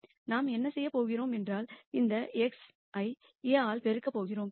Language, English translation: Tamil, So, what we are going to do is we are going to pre multiply this x by A